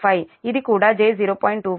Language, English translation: Telugu, this is also j zero